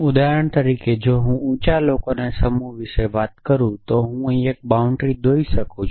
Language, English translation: Gujarati, So, for example, if I say I am talking about the set of tall people then I could draw 1 boundary here